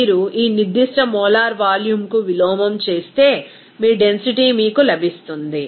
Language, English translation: Telugu, Simply you have to just inverse of this specific molar volume will give you that your density